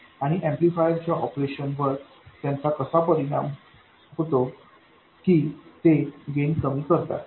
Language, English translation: Marathi, And they do have some effect on the operation of the amplifier, that is that they end up reducing the gain